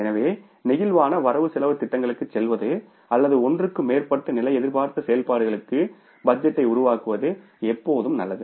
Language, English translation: Tamil, So, it is always better to go for the flexible budgets or create the budgets for more than one level of expected activity